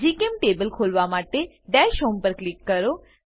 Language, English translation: Gujarati, To open GChemTable, click on Dash Home